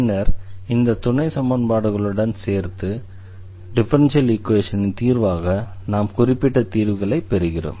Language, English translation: Tamil, And then as differential equation together with these supplementary conditions we will get particular solutions